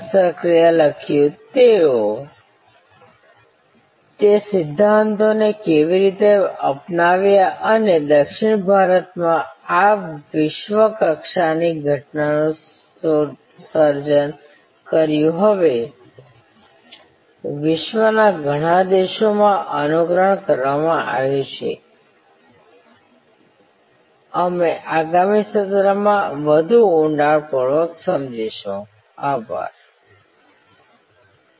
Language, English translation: Gujarati, How they adopted those principles and created this world class phenomenon in South India now emulated in so, many countries across the world, we will study in greater depth in the next session